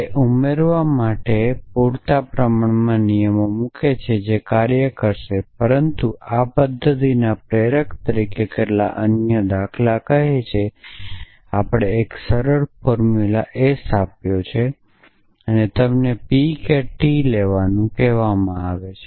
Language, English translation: Gujarati, It essentially they just add put enough rules of inference which will work, but as a motivator for this method say some other example we have given a simple formula S and you are asked to derive P or not T we asked to derive